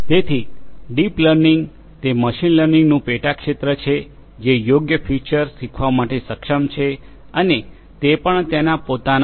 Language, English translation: Gujarati, So, deep learning, it is a subfield of machine learning which is capable of learning the right features on its own know